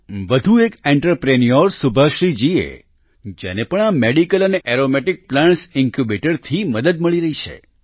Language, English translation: Gujarati, Another such entrepreneur is Subhashree ji who has also received help from this Medicinal and Aromatic Plants Incubator